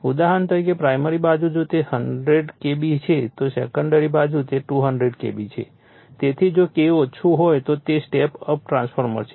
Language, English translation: Gujarati, For example, primary side if it is 100 KB then secondary side it is 200 KB so, it is a step up transformer if K less than